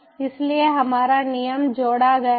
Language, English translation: Hindi, so, or our rule is added